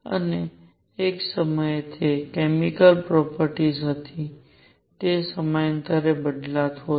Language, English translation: Gujarati, And what once it was chemical properties varied in a periodic manner